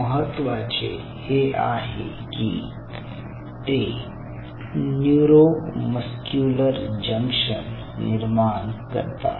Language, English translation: Marathi, what is important is that they form the neuromuscular junctions here